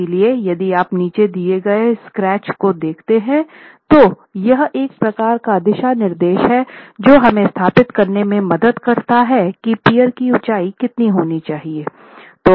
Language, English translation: Hindi, So if you look at the sketch below, this is a sort of a guideline that helps us establish what is the height of the resisting peer